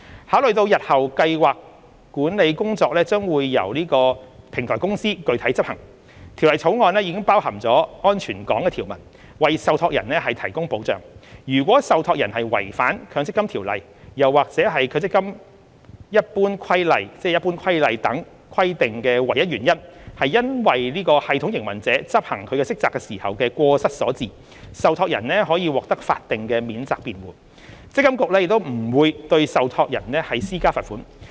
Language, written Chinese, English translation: Cantonese, 考慮到日後計劃管理工作將由平台公司具體執行，《條例草案》包含了"安全港"條文，為受託人提供保障：如果受託人違反《強積金條例》或《強制性公積金計劃規例》等規定的唯一原因是因為系統營運者執行其職責時的過失所致，受託人可獲法定免責辯護，積金局亦不會對受託人施加罰款。, Taking into account the fact that the scheme administration work will be undertaken by the Platform Company in the future the Bill has included safe harbour provisions to protect trustees so that if trustees non - compliance with the statutory requirements under MPFSO or the Mandatory Provident Fund Schemes General Regulation is solely due to the failure of the system operator to perform its duties they will be entitled to a statutory defence and MPFA will not impose financial penalty on them